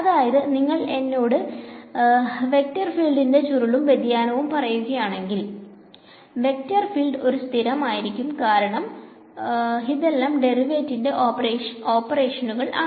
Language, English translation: Malayalam, So, if you tell me the curl and divergence of a vector field, the vector field is fully specified ok up to a constant because these are all derivative operations